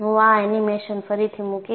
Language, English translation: Gujarati, And, I would put this animation again